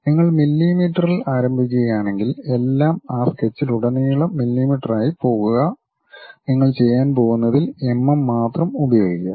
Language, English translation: Malayalam, If you begin with mm everything go with mm throughout that sketch what you are going to do use only mm ah